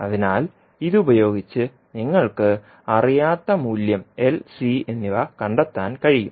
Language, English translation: Malayalam, So with this you can find out the value of unknowns that is L and C